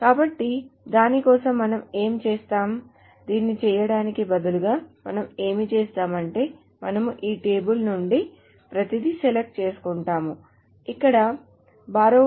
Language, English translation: Telugu, So for that, what we will do is instead of just doing this, what we will do is that we will select from this table everything where the borrower